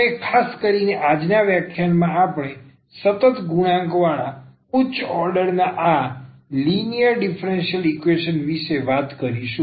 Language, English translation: Gujarati, And in particular in today’s lecture we will be talking about these linear differential equations of higher order with constant coefficients